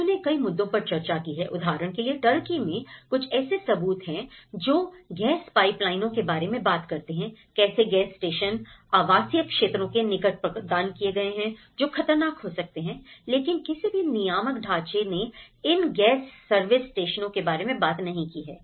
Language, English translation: Hindi, So, they have discussed about a variety of issues, for example, in Turkey there are some evidences which talk about the gas pipelines, how and gas stations which has been provided in the residential areas near the residential areas which may be hazardous but none of the regulatory frameworks have talked about these gas service stations